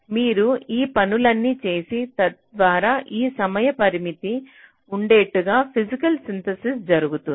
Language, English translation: Telugu, so you do all these things so that these timing constraints, whatever was there was made, physical synthesis is done